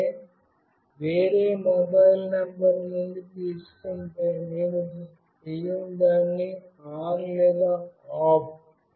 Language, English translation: Telugu, If I get it from any other mobile number, I will not make it on or off